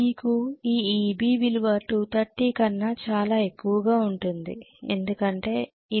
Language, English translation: Telugu, You will get this EB value to be very clearly greater than 230 because it is VT plus IA RE right